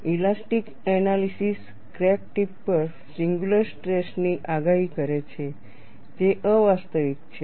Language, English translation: Gujarati, An elastic analysis predicts singular stresses at the crack tip, which is unrealistic